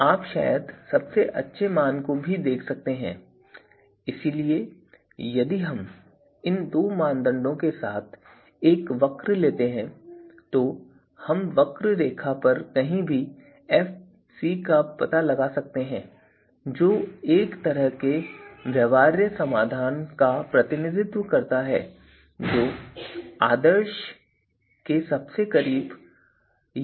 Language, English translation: Hindi, And you can see here so these are probably the best values so if we take a curve here so along these two criteria this Fc somewhere here so this is in a way representing you know you know a feasible solution which is closest to the ideal, right